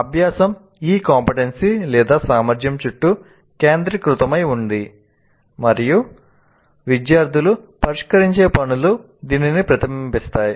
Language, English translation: Telugu, Learning is focused around this CO competency and the tasks students are expected to solve reflect this